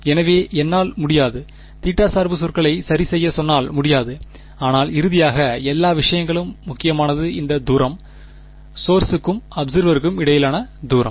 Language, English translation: Tamil, So, I cannot; I would not have been able to remove the theta dependent terms ok, but finally, all that matters is; all that matters is this distance, the distance between the source and the observer alright